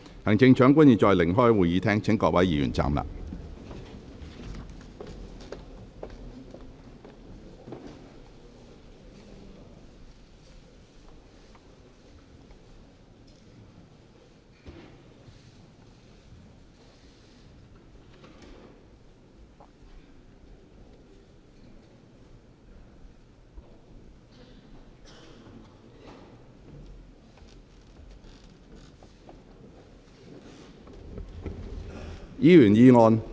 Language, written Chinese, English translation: Cantonese, 行政長官現在離開會議廳，請各位議員站立。, The Chief Executive will now leave the Chamber . Members will please stand up